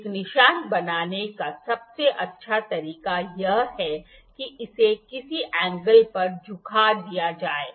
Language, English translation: Hindi, The best way to make a mark is to make it at a make like a tilt it at some angle like tilt it at some angle